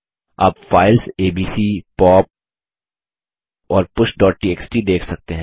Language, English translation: Hindi, You can see the files abc, pop and push.txt